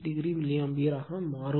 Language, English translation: Tamil, 36 degree milliAmpere